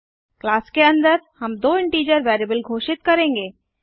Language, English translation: Hindi, Inside the class we will declare two integer variables